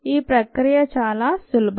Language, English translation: Telugu, the process is very simple